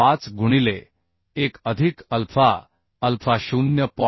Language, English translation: Marathi, 5 into 1 plus alpha alpha is 0